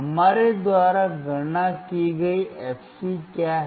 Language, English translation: Hindi, What is the fc that we have calculated